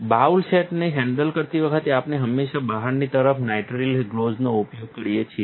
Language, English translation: Gujarati, When handling the bowl set, we always use nitrile gloves on the outside